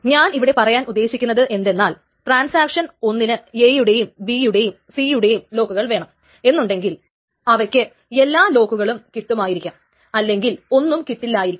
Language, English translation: Malayalam, So what I am trying to say is that if a transaction one wants the locks on A, B and C, either it will get all the locks on A, B and C, or it will get none of the locks